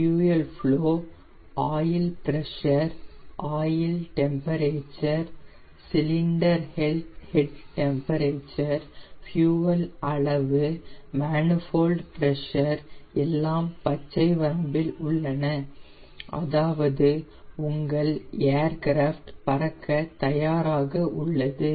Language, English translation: Tamil, the fuel flow, the oil pressure, the oil temperature in the cylinder, head temperature, fuel quantity, everything, manifold, pressure, everything is within the green range